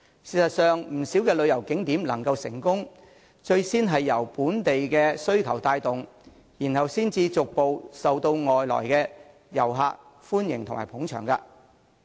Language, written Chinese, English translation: Cantonese, 事實上，不少旅遊景點能夠成功，最先是由本地需求帶動，然後才逐漸受到外來遊客的歡迎和捧場。, In fact the success of many tourist attractions was initially driven by local demand before they gradually became popular and found favour with foreign tourists . Take for example Japan which we are familiar with